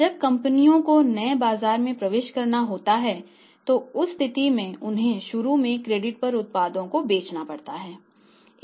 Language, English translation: Hindi, When many companies have to enter into the new markets in that case they have to sell the things initially on credit